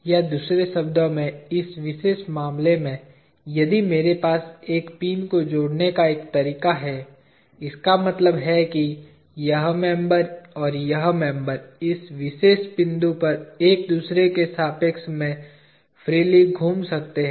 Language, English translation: Hindi, Or in another words, in this particular case, if I have a joining way of having a single pin; that means, this member, and this member can rotate freely with respect to each other, at this particular point